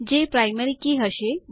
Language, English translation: Gujarati, They are the Primary Keys